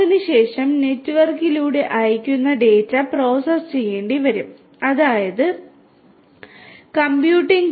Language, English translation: Malayalam, Thereafter, the data that is sent over the network will have to be processed right will have to be processed; that means, computing